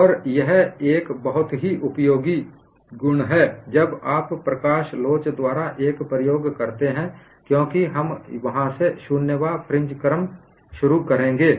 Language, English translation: Hindi, And it is a very useful property when you do an experiment by photo elasticity, because we would start the zero eth fringe order from there